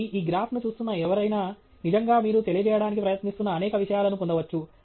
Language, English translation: Telugu, So, somebody looking at this graph can really get many of the points that you are trying to convey